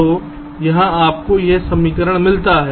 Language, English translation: Hindi, so here you get this equation